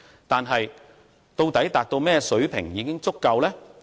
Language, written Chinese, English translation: Cantonese, 但是，究竟甚麼水平才算是足夠呢？, But the question is how large the size of the Exchange Fund is adequate?